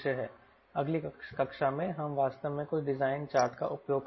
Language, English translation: Hindi, in the next class we will actually use some design charts